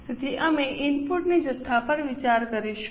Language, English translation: Gujarati, So, we will consider the input quantity